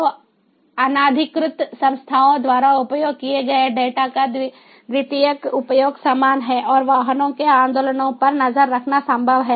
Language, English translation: Hindi, so, secondary use of the data, data use by unauthorized entities, very similar and tracking of movements of the vehicles is made possible